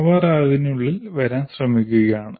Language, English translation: Malayalam, They are trying to come within that